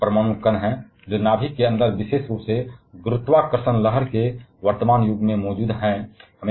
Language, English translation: Hindi, There are several sub atomic particles which are present inside the nucleus particularly in the present age of gravitational wave